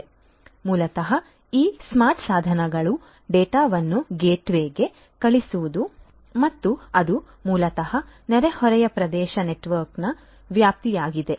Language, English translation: Kannada, So, basically these smart devices are going to send the data to the gateway and that is basically the scope of the neighborhood area network